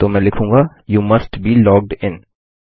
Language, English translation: Hindi, So Ill say You must be logged in